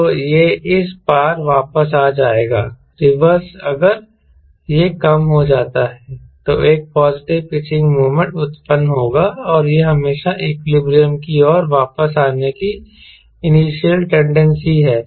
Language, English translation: Hindi, if it is reduced, then it is positive pitching moment will be generated and it has always have initial tendency to come back to equilibrium